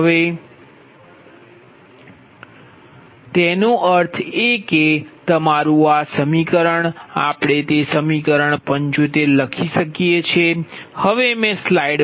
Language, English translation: Gujarati, so that means your this equation, that means this equation